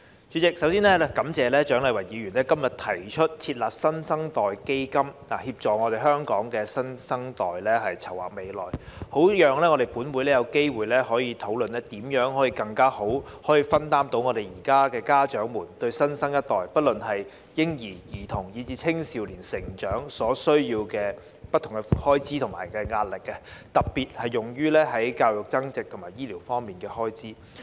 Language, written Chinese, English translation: Cantonese, 主席，首先我要感謝蔣麗芸議員今天提出"設立新生代基金，協助香港新生代籌劃未來"議案，讓立法會有機會討論如何適當分擔現今家長對新生代——不論是嬰兒、兒童以至青少年——成長所需要面對的開支和壓力，特別是教育增值及醫療方面的開支。, President first of all I would like to thank Dr CHIANG Lai - wan for proposing the motion on Setting up a New Generation Fund to help the new generation in Hong Kong plan for the future today as she has given the Legislative Council an opportunity to discuss how the Government can appropriately ease the financial burden and stress facing the parents nowadays in raising the new generation from newborn to adolescent especially the burden and stress related to education and healthcare expenses